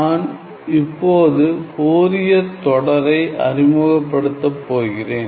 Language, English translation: Tamil, Now, let me just introduce now I am going to introduce Fourier series